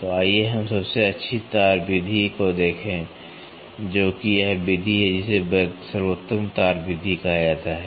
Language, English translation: Hindi, So, let us look at the best wire method which is this method, which is called as the best wire method